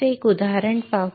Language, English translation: Marathi, So, let us see an example